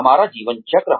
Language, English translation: Hindi, Our life cycles